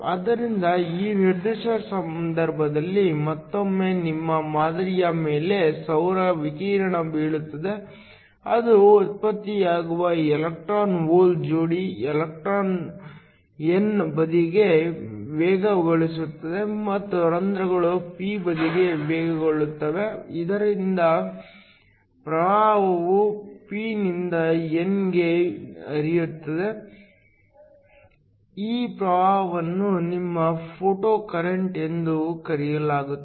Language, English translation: Kannada, So, In this particular case, once again you have solar radiation falling on your sample, an electron hole pair that is generated, the electron accelerating towards the n side and the holes accelerating towards the p side so that the current flows from p to n, this current is called your photocurrent